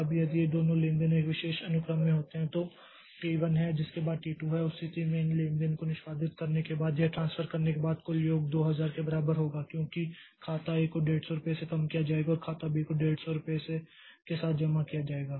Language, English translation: Hindi, Now if these two transactions occur in a particular sequence that is T1 followed by T2 in that case the total sum after doing this transfer after executing these transactions will be equal to 2000 because account A will be reduced by 150 rupees and account B will be credited with 150 rupees